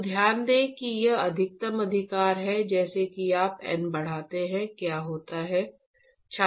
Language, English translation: Hindi, So, note that this is the maximum right, as you increase N, what happens